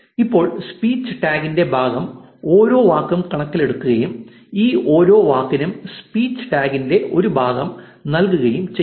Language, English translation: Malayalam, Now the part of speech tagger has taken each word into consideration and assigned a part of speech tag for each of these words